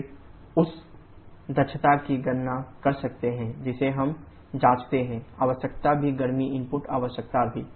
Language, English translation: Hindi, Then you can calculate the efficiency we check the requirement also heat input requirement also